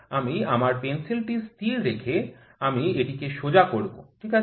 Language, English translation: Bengali, I will keep my pencil stationary I make it straight, ok